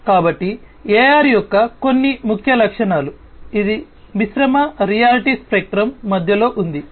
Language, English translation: Telugu, So, some of the key features of AR, it lies in the middle of the mixed reality spectrum